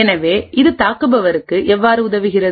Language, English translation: Tamil, So how does this help the attacker